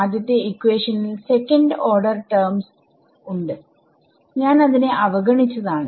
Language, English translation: Malayalam, The first equation had second order terms and so on which I am ignoring